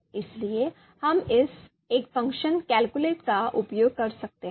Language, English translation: Hindi, So, all that we can do using this one function calculate